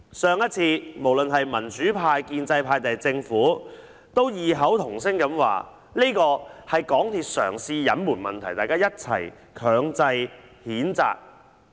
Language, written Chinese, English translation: Cantonese, 上一次，無論是民主派、建制派或政府都異口同聲說這是港鐵公司嘗試隱瞞問題，大家一起作出強烈譴責。, In the last incident the pro - democracy camp the pro - establishment camp and the Government said in unison that MTRCL had attempted to conceal the problem and they all came forth to strongly condemn MTRCL